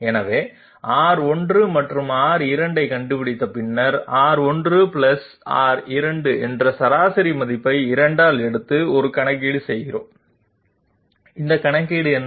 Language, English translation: Tamil, So having found out R 1 and R 2 we take the mean value R 1 + R 2 by 2 and do a calculation, what is this calculation